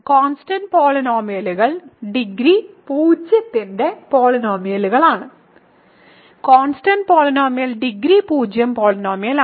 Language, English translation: Malayalam, Constant polynomials are polynomials of degree 0; so, constant polynomial is degree 0 polynomial ok